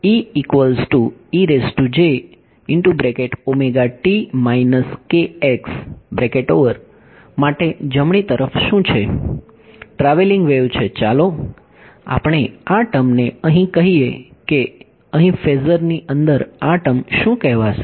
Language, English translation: Gujarati, So, this is a right hand, right travelling wave let us call this term over here what do what would be call this term over here inside the phasor